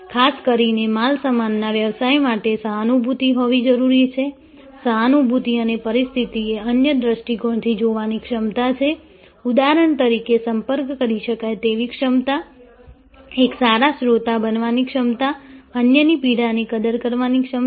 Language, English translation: Gujarati, This is particularly, so as suppose to goods business, because empathy is the ability to see the situation from the other perspective, the ability to be approachable as for example, to be a good listener, the ability to appreciate the others pain